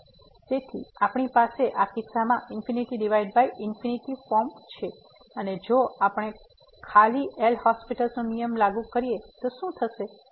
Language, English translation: Gujarati, So, we have the infinity by infinity form and in this case if we simply apply the L’Hospital’s rule what will happen